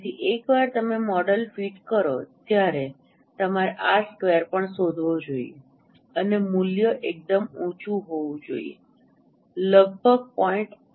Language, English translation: Gujarati, So once you fit fit a model you should find out also r square and the value should be quite high say near about 0